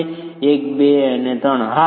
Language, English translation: Gujarati, One two and, yes